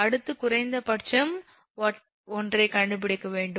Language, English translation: Tamil, Next, one is that you have to find out the minimum one